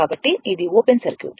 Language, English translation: Telugu, Because, it is open circuit